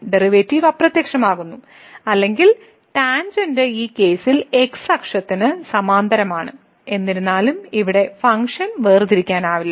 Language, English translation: Malayalam, So, the derivative vanishes or the tangent is parallel to the x axis in this case though the function was not differentiable here